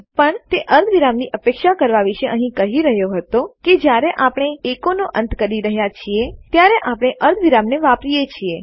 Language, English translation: Gujarati, But what it was saying about expecting a semicolon was that when we end an echo, we use a semicolon